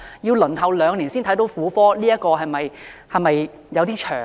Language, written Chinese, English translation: Cantonese, 要輪候兩年才獲婦科診治，是否有點長呢？, They must wait two years before receiving gynecology services . Isnt it too long?